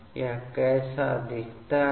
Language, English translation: Hindi, How does it look like